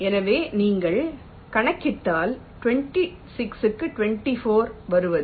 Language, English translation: Tamil, so if you calculate, it comes to twenty six by twenty